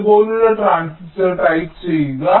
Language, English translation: Malayalam, you see, you can make a transistor like this